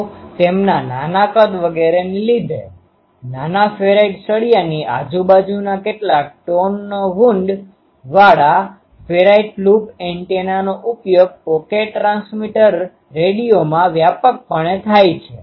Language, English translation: Gujarati, So, because of their small size etcetera ferrite loop antennas of few tones wound around a small ferrite rod are used widely in pocket transmitter radio